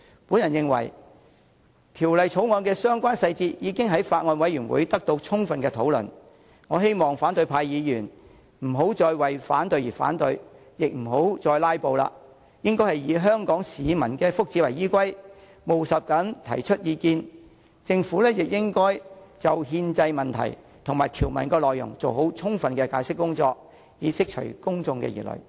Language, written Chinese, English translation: Cantonese, 我認為《條例草案》的相關細節已經在法案委員會得到充分討論，我希望反對派議員不要再為反對而反對，亦不要再"拉布"，應該以香港市民的福祉為依歸，務實地提出意見，政府亦應該就憲政問題及條文內容做好充分的解釋工作，以釋除公眾疑慮。, As the relevant details of the Bill have already been adequately discussed in the Bills Committee I hope opposition Members will not oppose the Bill for the sake of opposition and I hope they will not filibuster . They should focus on promoting the welfare of Hong Kong people and express their views pragmatically . The Government should also give full explanation on the constitutional issues and the legislative provisions so as to allay public concerns